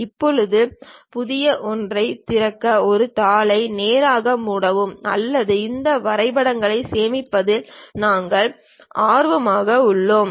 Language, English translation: Tamil, Now, we can straight away close this sheet to open a new one or we are interested in saving these drawings